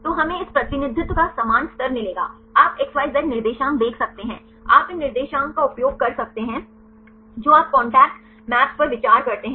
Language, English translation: Hindi, So, we will gets the same the level of this representation, you can see XYZ coordinates you can use these coordinates you consider contact maps right